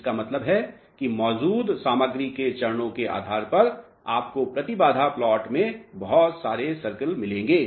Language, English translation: Hindi, That means, depending upon the phases of the material present you will be getting so many circles in impedance plot